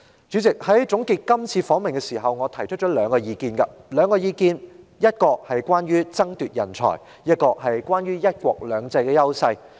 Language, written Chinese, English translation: Cantonese, 主席，在總結今次訪問時，我提出兩個意見，其一是關於人才的爭奪，其二是關於"一國兩制"的優勢。, President I put forth two views to sum up the duty visit . One of them is about the strive for talents and the other is about the privileges of the one country two systems